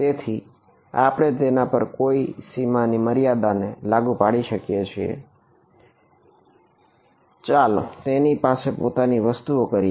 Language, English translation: Gujarati, So, we should not apply any boundary condition on that, let's do its own thing